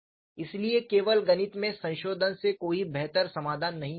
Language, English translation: Hindi, sSo, a modification in the mathematics alone has not resulted in arriving at an improved solution